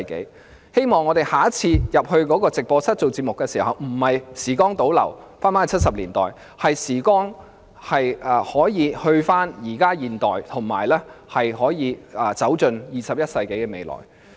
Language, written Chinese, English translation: Cantonese, 我希望下次當我們進入直播室出席節目時，不會像時光倒流回到1970年代般，而是會返回現代，並步向21世紀的未來。, I hope that next time when we enter the on - air studio to attend its programme we will not feel like having gone back to the 1970s . Instead we will be back to the modern age and walk forward towards the 21 century